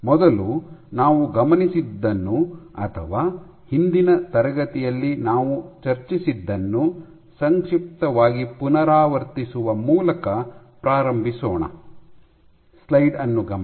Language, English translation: Kannada, Let we first start by you know doing a brief recap of what we observed, or what we discussed in last class